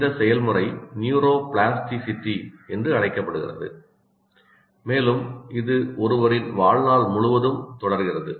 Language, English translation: Tamil, This process is called neuroplasticity and continues throughout one's life